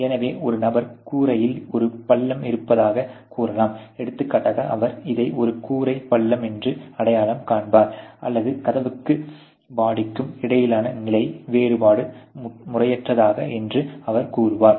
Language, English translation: Tamil, So, he will identify this as a roof dent or for example, if he says that the level difference here between the door and the body between door and body is improper